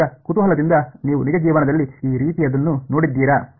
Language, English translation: Kannada, Now just out of curiosity have you seen something like this in real life